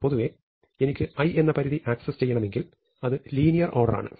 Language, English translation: Malayalam, So, in general if I have to access the i th element of a list it is a linear time operation